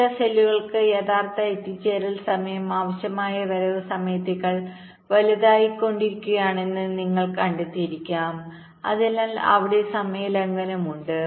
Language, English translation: Malayalam, you may find that the actual arrival time is becoming greater than the required arrival time, so there is a timing violation there